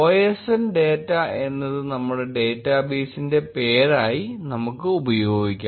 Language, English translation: Malayalam, We will use osndata as our database name